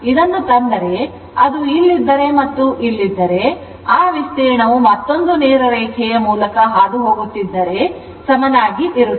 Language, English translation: Kannada, If I bring this one, suppose if it is if it is if it is here and if it is here, the area will remain same as if another straight line is passing through the origin right